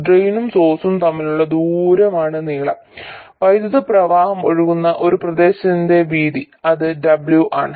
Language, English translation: Malayalam, The distance between drain to source is the length and the width of this region through which the current flows that is the width W